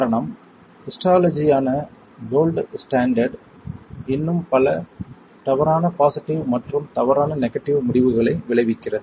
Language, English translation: Tamil, The reason is that the gold standard which is the histology still results in lot of false positive and false negative results